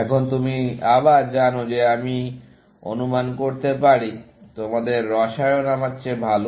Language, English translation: Bengali, Now, you know that again, I presume your chemistry is better than mine